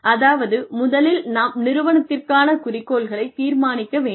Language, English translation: Tamil, Which means that, we first need to decide, on the objectives of the organization